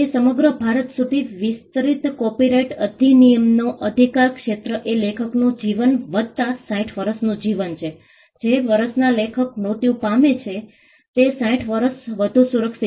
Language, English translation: Gujarati, The jurisdiction of the copyright act it extends to the whole of India, the term of copyright foremost works is life of the author plus 60 years, the year in which the author dies there is another 60 years of protection